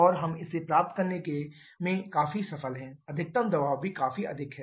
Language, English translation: Hindi, And we are quite successful in getting that the maximum pressure is also quite higher